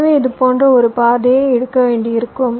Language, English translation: Tamil, so here possibly will have to take a route like this